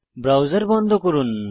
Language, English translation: Bengali, Lets close this browser